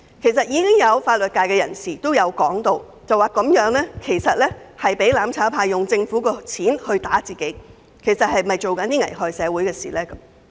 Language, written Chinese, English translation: Cantonese, 其實，已有法律界人士指出這等於容讓"攬炒派"利用政府的資源對付政府自己，並質疑此舉是否危害社會。, As a matter of fact some members of the legal profession have pointed out that this is tantamount to allowing the mutual destruction camp to use government resources against the Government itself and they also questioned whether this practice will endanger our society